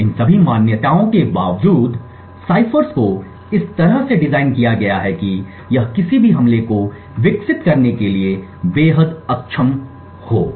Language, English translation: Hindi, Inspite of all these assumptions the ciphers are designed in such a way that it any attack would be extremely inefficient to develop